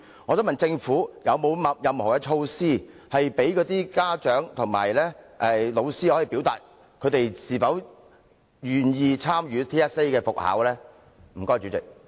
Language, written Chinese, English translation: Cantonese, 我想問政府，是否有任何措施，讓家長和老師表達是否願意參與 TSA 的復考呢？, In respect of the resumption of TSA I would like to ask if the Government has measures in place to enable parents and teachers to express their views on schools participation in TSA